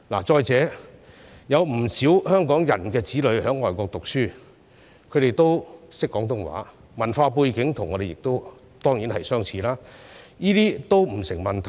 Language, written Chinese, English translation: Cantonese, 再者，有不少香港人子女在外國讀書，他們也懂廣東話，文化背景跟我們當然相似，這些也不成問題。, Moreover many Hongkongers have children studying overseas who know Cantonese and certainly share the same cultural background with us so those issues will no longer be of concern